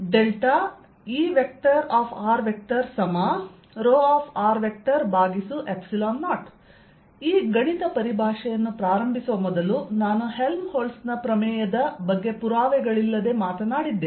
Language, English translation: Kannada, also recall, before i started this mathematical treatment i had talked about helmholtz's theorem without proof